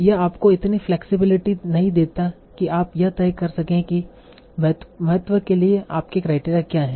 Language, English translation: Hindi, Although that it does not give you much flexibility in having you decide what is your criteria for importance